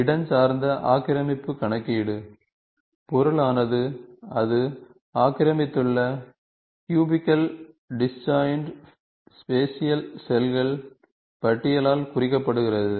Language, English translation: Tamil, Spatial occupancy enumeration: The object is represented by a list of cubical disjoint space, this is a disjoint space